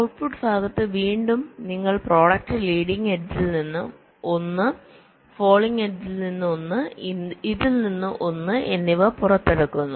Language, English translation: Malayalam, so again in the output side you are taking out the products, one at the leading age, one at the falling age, one from this, one from this